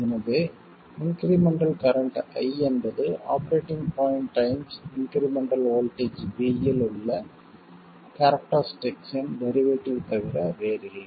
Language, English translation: Tamil, So, the incremental current I is nothing but the derivative of the characteristic at the operating point times the incremental voltage V